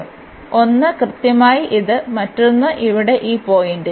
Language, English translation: Malayalam, So, one is precisely this one, the other one at this point here